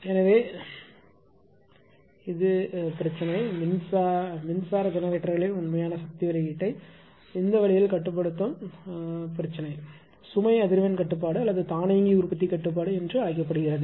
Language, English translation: Tamil, So, that the problem of called therefore, the problem of controlling the real power output of electric generators in this way is termed as load frequency control or automatic generation control, right